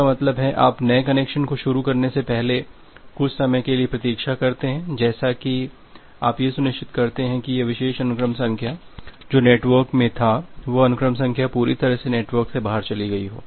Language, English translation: Hindi, That means, you wait for some amount of time before initializing the new connection such that you become ensured that this particular sequence number which was there say this sequence number it was completely gone out of the network